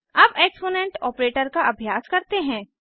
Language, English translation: Hindi, Now lets try the exponent operator